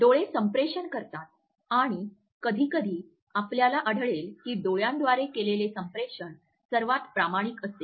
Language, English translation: Marathi, Eyes communicate and sometimes you would find that the communication which is done through eyes is the most authentic one